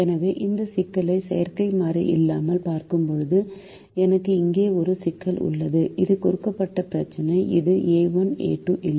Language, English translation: Tamil, so when we look at this problem without the artificial variable, i have a problem here, which is the given problem, which does not have a one, a two